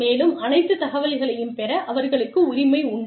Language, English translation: Tamil, And, they have a right, to get all the information